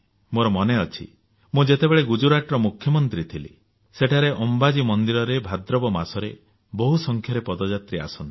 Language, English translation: Odia, I remember, when I was the Chief Minister of Gujarat the temple of Ambaji there is visited in the month of Bhadrapad by lakhs of devotees travelling by foot